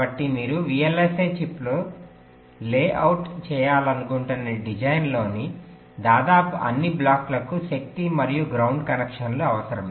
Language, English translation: Telugu, so almost all the blocks in a design that you want to layout on a vlsi chip will be requiring the power and ground connections